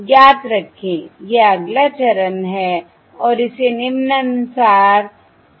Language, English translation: Hindi, Remember, that is the next step and that can be illustrated as follows